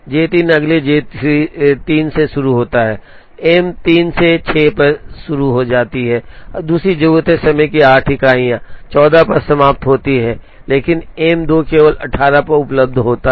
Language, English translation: Hindi, J 3 goes next J 3 can start on M 1 at 6 needs another 8 units of time finishes at 14, but M 2 is available only at 18